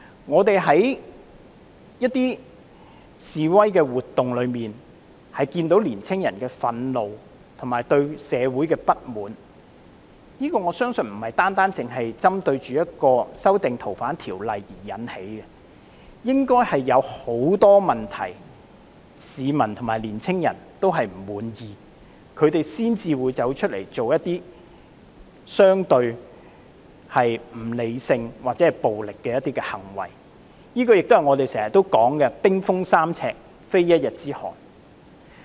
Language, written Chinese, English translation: Cantonese, 我們在示威活動中看見年青人的憤怒，以及對社會的不滿，我相信這並非單單由修訂《逃犯條例》而引起的，應該是有很多問題令市民和年青人不滿意，他們才會出來做出相對不理性或暴力的行為，亦是我們經常說的"冰封三尺，非一日之寒"。, The anger of young people and their discontent with society have been palpable in the demonstrations . I believe the discontent among the public and young people which has prompted them to act relatively irrationally and violently probably springs from many problems rather than being triggered by the FOO amendment alone and as we always say it takes more than one cold day for a river to freeze three feet deep